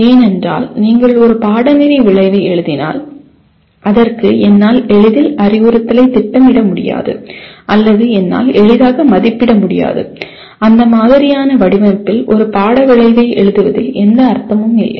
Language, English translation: Tamil, Because if you write a course outcome for which I cannot easily plan instruction or I cannot easily assess; there is no point in writing a course outcome in that kind of format